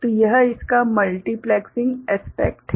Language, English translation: Hindi, So, this is the multiplexing aspect of it